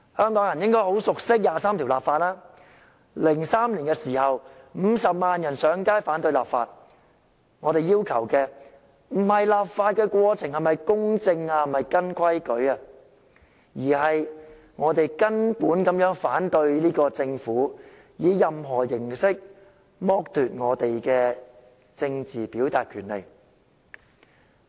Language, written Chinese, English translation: Cantonese, 香港人應該很熟悉就第二十三條立法 ，2003 年50萬人上街遊行反對立法，我們要求的不是立法過程是否公正及依照程序進行，而是我們從根本反對政府以任何形式剝奪我們的政治表達權利。, Hong Kong people should be very familiar with the legislation for Article 23 . In 2003 500 000 people took to the streets in opposition of the legislation . What we demanded was not about whether the legislative process was fair and by the book but we held fundamental opposition to the deprivation of our rights of political expression by the Government by any means